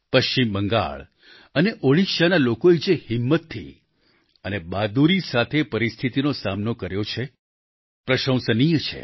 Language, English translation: Gujarati, The courage and bravery with which the people of West Bengal and Odisha have faced the ordeal is commendable